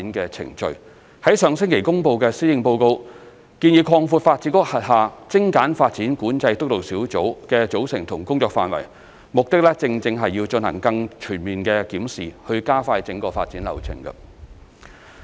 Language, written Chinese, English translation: Cantonese, 上星期公布的《行政長官2020年施政報告》建議擴闊發展局轄下精簡發展管制督導小組的組成和工作範圍，目的正是要進行更全面檢視以加快整個發展流程。, The Chief Executives 2020 Policy Address announced last week suggests expanding the composition and remit of the Steering Group on Streamlining Development Control under the Development Bureau DEVB to review more comprehensively as well as expedite the whole development process